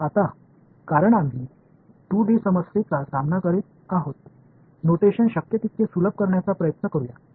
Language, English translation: Marathi, Now, because we are dealing with the 2D problem let us try to just simplify notation as much as possible